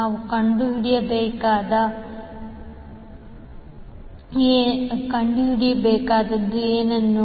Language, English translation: Kannada, What we need to find out